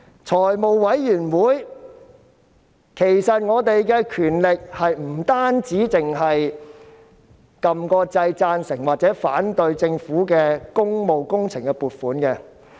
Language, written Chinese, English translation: Cantonese, 在財務委員會，議員的權力不僅是按掣表示贊成或反對政府工務工程的撥款。, In the Finance Committee the power of a Member is not merely pressing the button to vote for or against the funding for public works